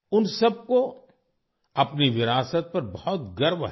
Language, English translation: Hindi, All of them are very proud of their heritage